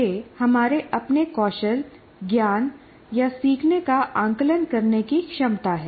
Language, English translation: Hindi, Or it is the ability to assess our own skills, knowledge, or learning